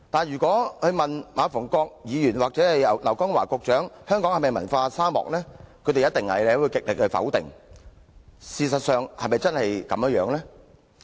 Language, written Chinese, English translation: Cantonese, 若問馬逢國議員或劉江華局長香港是否文化沙漠，他們必會極力否定，但事實又是否真的如此？, If asked whether Hong Kong is a cultural desert Mr MA Fung - kwok or Secretary LAU Kong - wah will definitely say no with all their might . But is their denial true in reality?